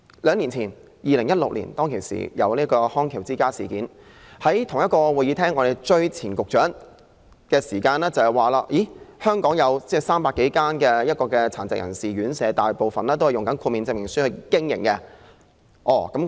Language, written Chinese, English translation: Cantonese, 兩年前，即2016年，"康橋之家事件"被揭發，當時我們曾在此追問前局長，據他表示，全港有300多間殘疾人士院舍，大部分也是憑藉豁免證明書經營。, Two years ago in 2016 questions were put to the former Secretary here in this chamber following the exposure of the Bridge of Rehabilitation Company Incident . According to him there were more than 300 RCHDs in Hong Kong most of which were operated with a certificate of exemption